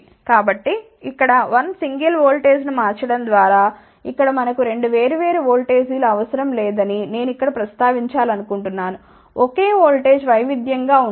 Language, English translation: Telugu, So, simply by varying a 1 single voltage here so, I want to mention here that here we do not need 2 different voltages; a single voltage has to be varied